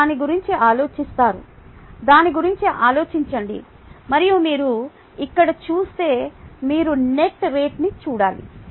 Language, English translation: Telugu, you think about it, think about it and then, if you see here the, you need to look at the net rate